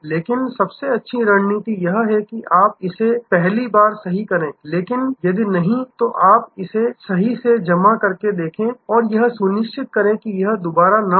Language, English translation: Hindi, So, best strategy is to do it right the first time, but if not, then see you set it right and absolutely ensure that, it does not happen again